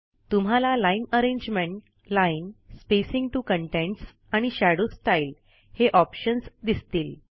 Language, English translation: Marathi, You will see the options for Line arrangement, Line, Spacing to contents and Shadow style